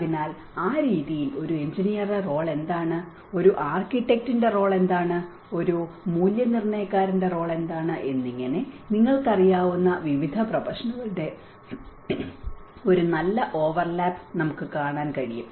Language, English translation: Malayalam, So, in that way, we can see a good overlap of various professions like what is the role of an engineer, what is the role of an architect, what is the role of a valuer you know